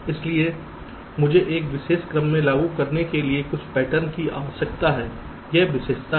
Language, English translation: Hindi, so i need a pair of patterns to be applied in a particular sequence